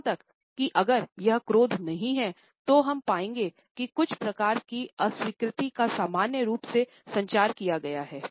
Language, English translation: Hindi, Even if it is not an anger, you would find that some type of disapproval is normally communicated